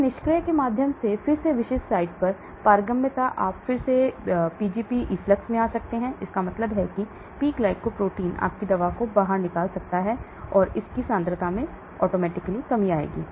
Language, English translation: Hindi, And then permeability to the specific site again through passive you can have again Pgp efflux coming into that, means P glycoproteins may be throwing your drug out and that will lead to reduction in its concentration